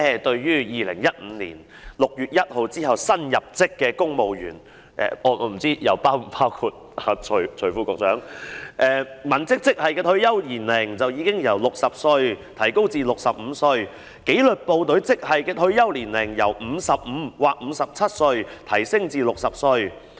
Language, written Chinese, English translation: Cantonese, 對於2015年6月1日之後入職的公務員——我不知道是否包括徐副局長——文職職系的退休年齡已經由60歲提高至65歲，而紀律部隊職系的退休年齡由55歲或57歲提高至60歲。, For civil servants appointed after 1 June 2015―I do not know if Under Secretary Casper TSUI is included―the retirement age for civilian grades has been raised from 60 to 65 whereas that for disciplined services from 55 or 57 to 60